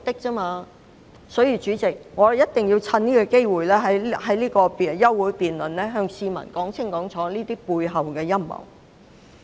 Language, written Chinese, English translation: Cantonese, 因此，代理主席，我一定要藉此休會待續議案辯論的機會向市民說清楚他們背後的陰謀。, Hence Deputy President we must take the opportunity presented by this adjournment debate to explain clearly to the public the conspiracy underlining their action